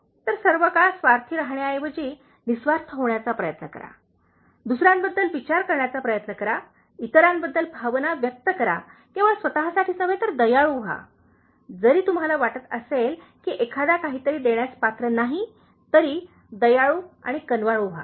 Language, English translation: Marathi, So, instead of being selfish all the time, try to be selfless, okay, try to think about others, show feeling for others, not only for yourself, be kind, so, even if you think that somebody doesn’t deserve, giving something, be kind and considerate